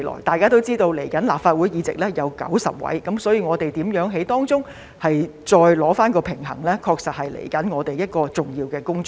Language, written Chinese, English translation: Cantonese, 大家也知道，新一屆立法會的議席共有90席，所以如何在當中取得平衡，確實是我們接下來一項重要的工作。, We have all learnt that there will be a total of 90 seats in the next term of Legislative Council and thus how to strike a balance will indeed be one of our coming significant tasks